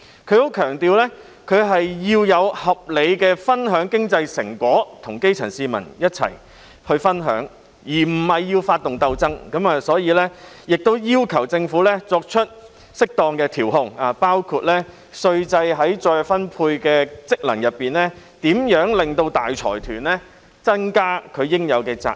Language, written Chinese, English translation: Cantonese, 他特別強調，社會要合理地分享經濟成果，即基層市民有份一起分享，而他並非要發動鬥爭，所以，他要求的是政府作出適當的調控，包括運用稅制在財富再分配方面的功能，令大財團增加應有責任。, He has particularly emphasized the need for our society to share the fruit of economic success in a reasonable way ie . allowing the grass roots to have a share of it . Rather than starting class warfare he would like to urge the Government to make appropriate adjustments which include imposing more obligations on large consortia by making use of the wealth redistribution function of taxation